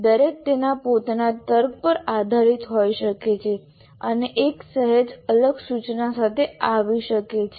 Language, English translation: Gujarati, Each one can based on their logic, they can come with a slightly different instruction